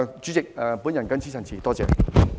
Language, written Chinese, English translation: Cantonese, 主席，我謹此陳辭，多謝。, President I so submit . Thank you